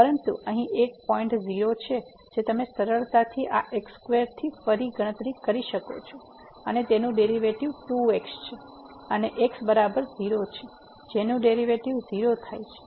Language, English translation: Gujarati, But there is a point here 0 which you can easily compute again from this square is a derivative is 2 and is equal to 0 the derivative will become 0